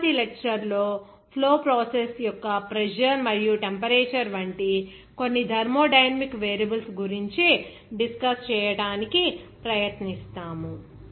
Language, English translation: Telugu, In the next lecture, we will try to discuss some thermodynamic variables like pressure and temperature of the flow processes